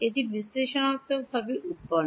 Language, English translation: Bengali, Is it derived analytically